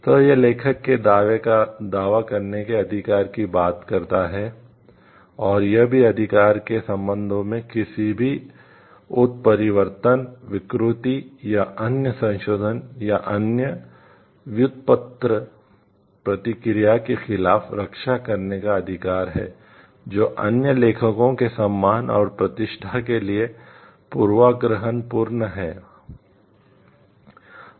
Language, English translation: Hindi, So, it talks of the right to claim authorship, and also the right to object and to protect against any mutilation, deformation or other modification or other derogatory action in relation to the work that would be prejudicial to the other authors honour or reputation